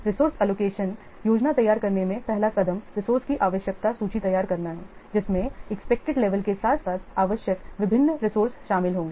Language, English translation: Hindi, First, the first step in producing a resource allocation plan is to prepare a resource requirement list which will contain the different resources that will be required along with the expected level of demand